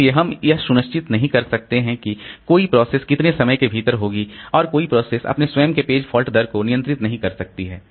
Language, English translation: Hindi, So, we cannot be sure like within how much time a process will be done and a process cannot control its own page falter